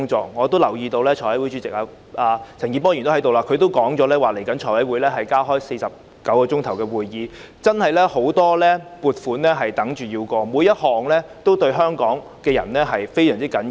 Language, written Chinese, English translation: Cantonese, 陳健波議員也在席，他已表示財務委員會將加開49小時的會議，因為有很多撥款項目有待審議，全部也對香港人非常重要。, Mr CHAN Kin - por is also in the Chamber now . He already said that the Finance Committee would hold an additional 49 hours of meetings in view of the large number of funding proposals pending deliberations and these proposals are all very important to Hong Kong people